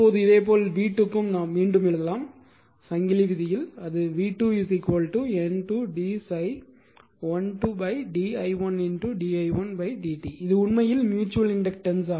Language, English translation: Tamil, Now, similarly for v 2 case , v 2 case we can write again chain rule v 2 is equal to N 2 d phi 1 2 upon d i1 into d i1 upon d t this actually it is actually mutual inductance